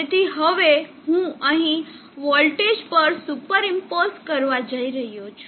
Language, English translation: Gujarati, So now here what I am going to do now is a super impose on the voltage